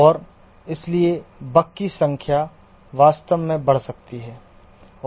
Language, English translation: Hindi, And therefore, the number of bugs may actually increase